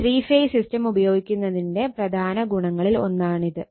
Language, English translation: Malayalam, This is one of the main advantages of three phase using three phase system right